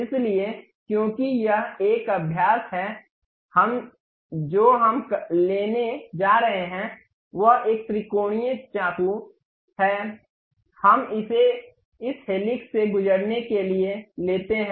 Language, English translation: Hindi, So, because it is a practice, we what we are going to take is a triangular knife, we take it pass via this helix